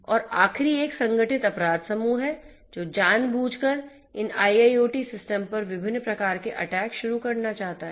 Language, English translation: Hindi, And the last one is the organized crime groups, who intentionally want to who intentionally only one to launch different types of attacks on these IIoT systems